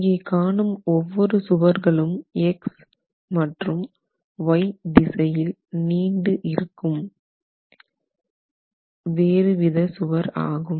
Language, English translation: Tamil, So, each wall that you see here, each extension along the X and the Y directions are different walls